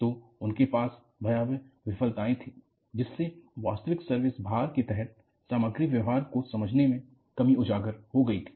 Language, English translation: Hindi, So, they had spectacular failures, which opened up the lacuna, in understanding material behavior, under actual service loads